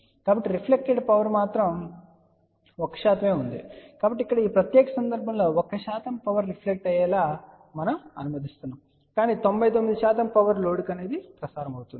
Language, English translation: Telugu, So that means, reflected power will be only 1 percent ; so that means, here in this particular case, we are allowing that 1 percent power can reflect but 99 percent power will get transmitted to the load